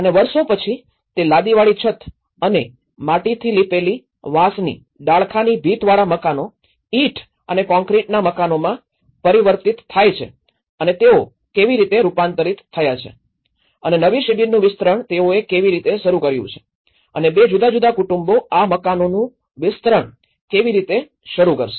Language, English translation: Gujarati, Then, over the years they get modified into a kind of brick and concrete houses and mostly with the tile roofing and a single room houses with all the wattle and daub constructions, how they have transformed and the new camp how they have started extending and how two different families and then how they started expanding this houses